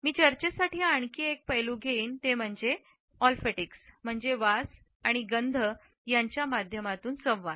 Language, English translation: Marathi, Another aspect which I would take up for discussion is olfactics which means communication through smell and scent